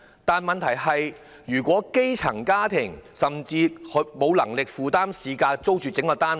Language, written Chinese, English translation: Cantonese, 但問題是，基層家庭怎會有能力以市價租住整個單位？, The problem is how can a grass - roots family afford to lease the whole flat at the market rent?